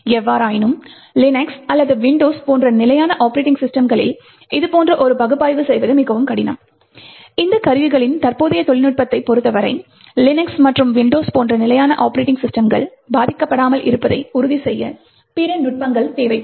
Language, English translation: Tamil, However for all practical systems like standard operating systems like Linux or Windows such, doing such an analysis would be extremely difficult, given the current technology of these tools and therefore we would require other techniques to ensure that standard operating systems like Linux and Windows are not affected by malware or any other kind of external malicious code